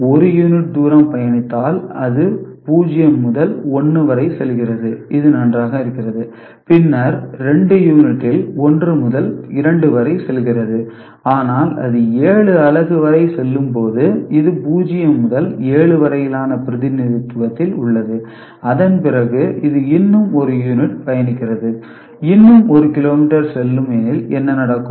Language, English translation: Tamil, So, you know 1 unit distance travelled, it goes from 0 to 1 which is fine, then 2 unit goes from 1 to 2, but when it goes up to 7 unit, which is there in the representation 0 to 7 after that when it travels one more unit, 1 more kilometer, what will happen